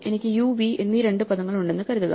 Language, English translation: Malayalam, So, supposing I have two words u and v